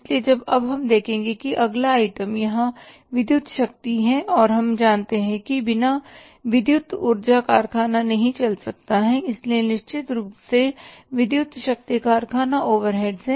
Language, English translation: Hindi, So now we will see that the next item here is the electric power and we know that without electric power factory can not run so certainly electric power is the factory overheads